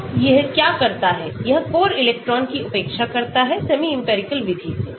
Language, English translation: Hindi, So, what it does is; it ignores core electron; semi empirical method